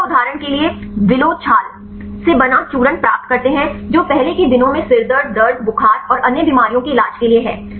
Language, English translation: Hindi, So, they get the powders made from willow bark for example, right useful for the treating headaches, pains, fevers and so on in the earlier days